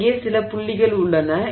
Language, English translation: Tamil, So, now there are a few points here